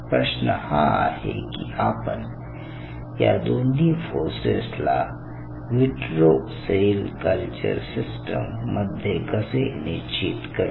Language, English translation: Marathi, our challenging, our question is how you can determine these two forces in an in vitro cell culture setup